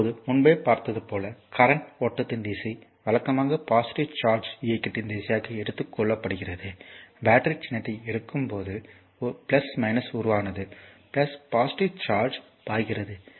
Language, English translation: Tamil, So, now as we have seen earlier the direction of current flow is conventionally taken as the direction of positive charge movement I told you, that current when you take the battery symbol plus minus form the plus the positive charge is flowing